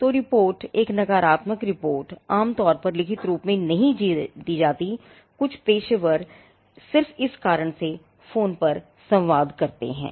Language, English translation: Hindi, So, the report; a negative report is normally not given in writing, some professionals just communicate over the phone for this reason